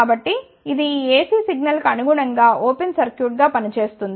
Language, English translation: Telugu, So, that it acts as an open circuit corresponding to this AC signal